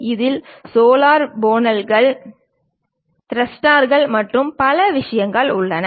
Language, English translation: Tamil, It contains many components like solar panels, thrusters and many other things